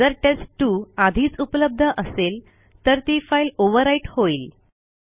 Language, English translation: Marathi, If test2 already existed then it would be overwritten silently